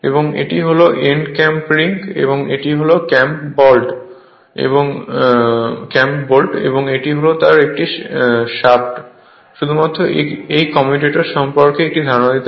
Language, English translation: Bengali, And this is end clamp ring and this is clamp bolt, this is just to give your then this is a shaft just to give one ideas about this commutator right